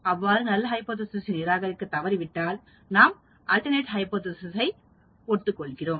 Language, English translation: Tamil, If we fail to reject the null hypothesis, we cannot accept the alternate hypothesis